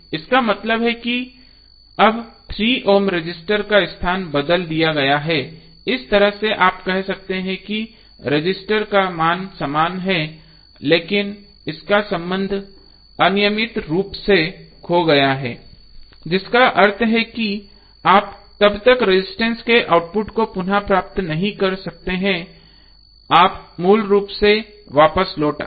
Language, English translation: Hindi, Means now, the location of 3 ohm resistance have been changed so, in that way you can say that resistor value is same but, its association has been irretrievably lost, it means that you cannot retrieve the output of the resistor until unless you reverted back to the original form